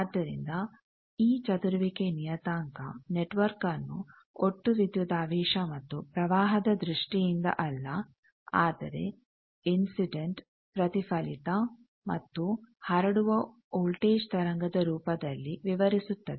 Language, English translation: Kannada, So, this scattering parameter describes the network not in terms of total voltage and current, but in terms of incident reflected and transmitted voltage wave that is why it solves the problem of measurement